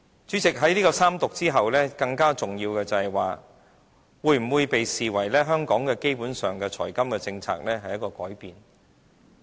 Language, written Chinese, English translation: Cantonese, 主席，在三讀後，更重要的是，這會否被視為香港基本財金政策的一個改變？, President the more important question is whether this will be regarded as a fundamental shift in Hong Kongs fiscal and financial policies after the Third Reading